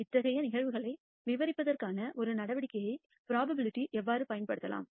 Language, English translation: Tamil, And how probability can be used as a measure for describing such phenomena